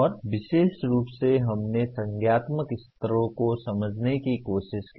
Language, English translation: Hindi, And particularly we tried to understand the cognitive levels